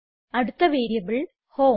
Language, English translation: Malayalam, The next variable is HOME